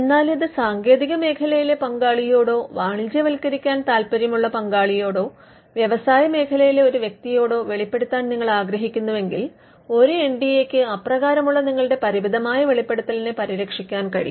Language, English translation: Malayalam, But if you want to disclose it to a technology partner or a partner who is interested in commercializing it or a person from the industry then an NDA can protect a limited disclosure